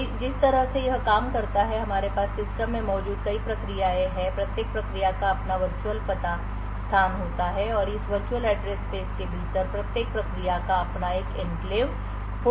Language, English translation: Hindi, So, the way it works is that we have multiple processes present in the system each process has its own virtual address space and within this virtual address space each process could have its own enclave